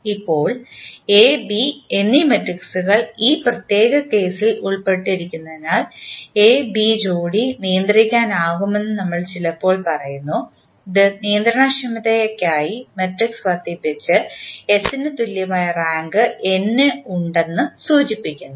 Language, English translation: Malayalam, Now, since the matrices A and B are involved in this particular case, sometimes we also say that pair AB is controllable which implies that the S that is augmented matrix for controllability has the rank equal to n